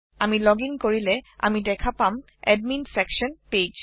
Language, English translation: Assamese, As soon as we login, we can see the Admin Section page